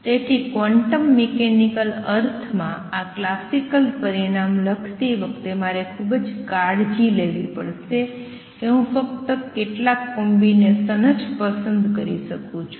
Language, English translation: Gujarati, So, while writing this classical result in a quantum mechanics sense, I have to be careful I can choose only certain combinations